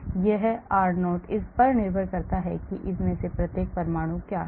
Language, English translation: Hindi, Now this r0 can vary depending upon what each of these atoms are